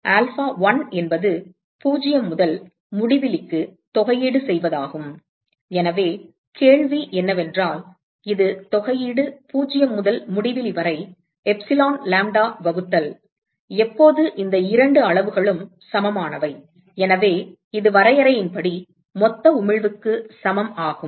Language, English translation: Tamil, Alpha1 is integral 0 to infinity, so the question is when is that equal to integral 0 to infinity epsilon lambda divided by when is that equal to where are these two quantities equal to, so this is the total emissivity right by definition